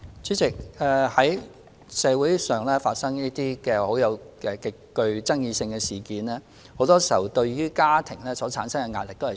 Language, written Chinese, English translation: Cantonese, 主席，當社會發生這種極具爭議性的事件時，往往會對家庭構成極大壓力。, President when such extremely controversial incidents occurred in society families will often be subjected to immense pressure